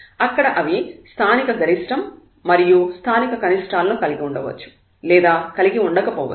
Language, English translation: Telugu, They may be there may be local maximum minimum there may not be a local maximum or minimum